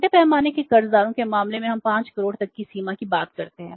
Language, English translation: Hindi, In case of the small scale borrowers we talk about the limits up to 5 crores